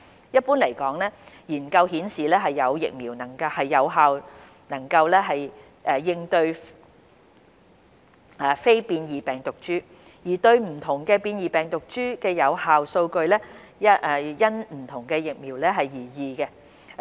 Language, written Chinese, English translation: Cantonese, 一般來說，研究顯示現有疫苗能有效應對非變異病毒株，而對不同變異病毒株的有效數據則因不同疫苗而異。, In general studies have shown that the existing vaccines work well against the non - variant and the effectiveness data against variants differ by vaccines